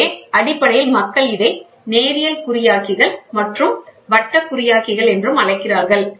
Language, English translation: Tamil, So, basically people call it as linear encoders and circular encoders, ok